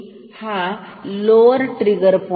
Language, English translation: Marathi, This is lower trigger point